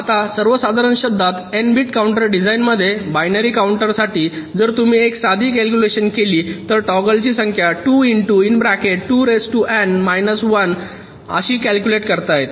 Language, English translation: Marathi, now, in general terms, if you look at an n bit counter design for a binary counter, if you make a simple calculation, the number of toggles can be calculated as two into two to the power n minus one